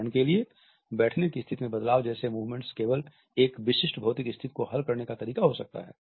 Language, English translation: Hindi, Movement such as shifting position when seated, may be simply way of resolving a specific physical situation